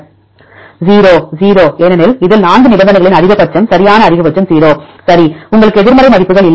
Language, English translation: Tamil, 0; the 0 because in this see the maxima of 4 conditions right maximum is 0, right, you don’t have a negative values right